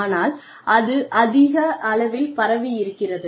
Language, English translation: Tamil, But, it is more spread out